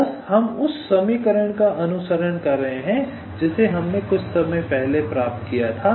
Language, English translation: Hindi, so just, we are following that equation which we derived just sometime back